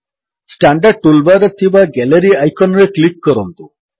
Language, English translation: Odia, Click on the Gallery icon in the standard toolbar